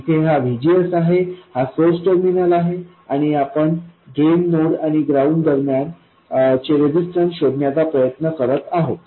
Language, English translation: Marathi, This is VGS, this is the source terminal, and we are trying to find the resistance between the drain node and ground